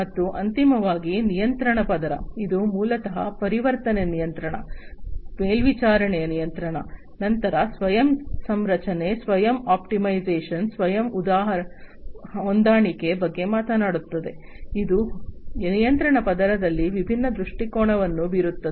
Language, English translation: Kannada, And finally, the control layer, this basically talks about actuation control, then supervised control, then you know self configuration, self optimization, self adjustment, which are different again different perspectives of the control in the control layer